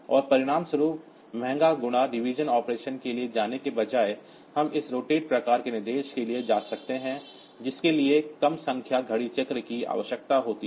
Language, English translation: Hindi, And as a result, instead of going for costly multiplication division operation, so we can go for this rotate type of instruction with much less number of clock cycles needed